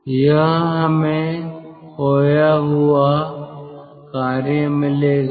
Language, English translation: Hindi, so this is what we will get: lost work